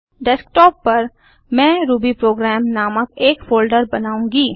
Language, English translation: Hindi, On Desktop, I will create a folder named rubyprogram